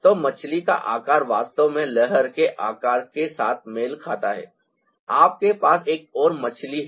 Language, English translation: Hindi, so the shape of the e fish quite actually match with the shape of the wave, you have another fish